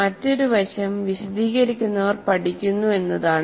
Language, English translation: Malayalam, And another aspect is whoever explains also learns